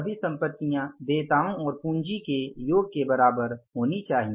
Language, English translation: Hindi, Assets are equal to liabilities plus capital